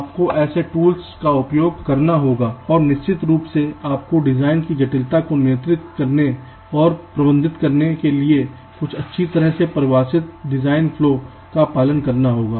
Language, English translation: Hindi, you will have to use such tools and, of course, you will have to follow some well defined design flow in order to control and manage the complexity of the designs